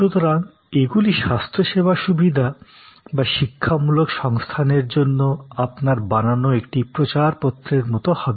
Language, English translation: Bengali, So, these will be like your brochure for a health care facility or for an educational facility